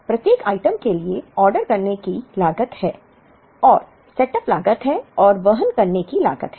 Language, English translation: Hindi, For each item there is an ordering cost and there is a setup cost and there is a carrying cost